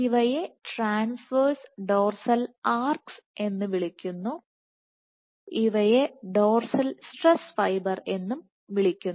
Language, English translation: Malayalam, So, these ones are called transverse dorsal arcs, these ones are called dorsal stress fibers